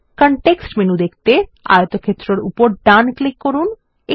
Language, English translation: Bengali, Right click on the rectangle to view the context menu